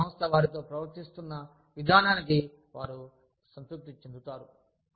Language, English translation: Telugu, They feel satisfied, in how the organization is treating them